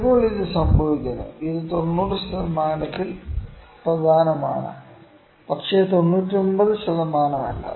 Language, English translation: Malayalam, So, what we can say sometime it happens that it is significant at 90 percent, but not 99 percent